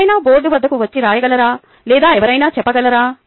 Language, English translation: Telugu, can somebody come to the board and write it, or can somebody say it